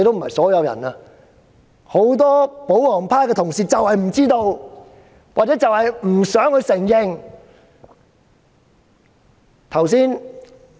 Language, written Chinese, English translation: Cantonese, 可是，很多保皇派的同事不知道或不想承認這一點。, However many colleagues in the royalist camp do not know or do not want to admit this